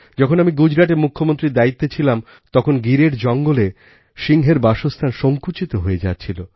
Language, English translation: Bengali, I had the charge of the Chief Minister of Gujrat at a period of time when the habitat of lions in the forests of Gir was shrinking